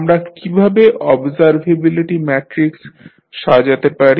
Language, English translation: Bengali, How we compile the observability matrix